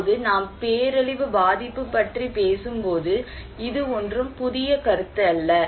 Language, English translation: Tamil, Now when we are talking about disaster vulnerability, this is nothing a new concept